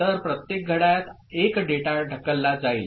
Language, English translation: Marathi, So, in each clock 1 data will be pushed